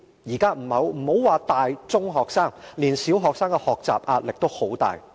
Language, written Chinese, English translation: Cantonese, 現在不要說是大、中學生，連小學生的學習壓力也很大。, Nowadays even primary school students have pressure in learning not to mention secondary school students or university students